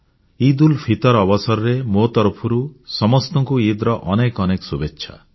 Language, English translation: Odia, On the occasion of EidulFitr, my heartiest greetings to one and all